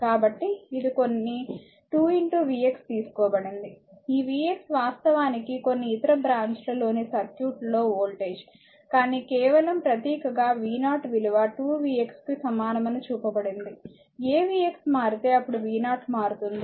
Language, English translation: Telugu, So, it is some 2 into v x is taken for, this is v x actually is the voltage in the circuit across some other branch right, but just symbolically it is shown that v 0 is equal 2 v x, a v x changes then v 0 will change right